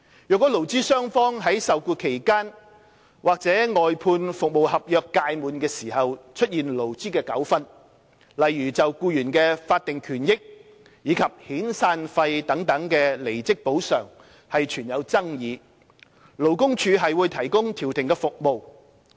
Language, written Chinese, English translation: Cantonese, 若勞資雙方於受僱期間，或外判服務合約屆滿時出現勞資糾紛，例如就僱員的法定權益及遣散費等離職補償存有爭議，勞工處會提供調停服務。, Should labour disputes arise between employers and employees during the employment period or upon the expiry of the outsourced service contract such as disputes over termination compensation such as employees statutory entitlements severance payments and so on conciliation service will be provided by LD